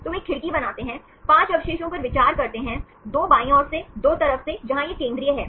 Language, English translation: Hindi, So, they make a window, considering 5 residues, 2 from left side, 2 from side, where this is the central one